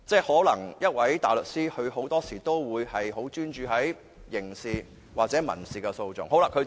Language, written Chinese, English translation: Cantonese, 換言之，大律師很多時都專注於刑事或民事訴訟。, In other words barristers often focus on criminal or civil proceedings